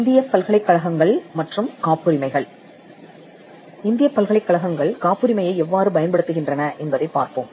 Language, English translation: Tamil, Let us look at how Indian universities have been using Patents